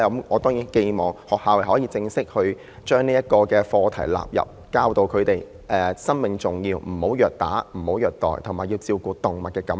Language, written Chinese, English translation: Cantonese, 我當然寄望學校可以將動物正式納入課程內，教導學生生命寶貴，不要虐打、不要虐待，以及要照顧動物感受。, I certainly hope the school may formally include animal affairs into curriculum to teach students that life is precious so that they will not beat or torture animals with the feeling of animals in mind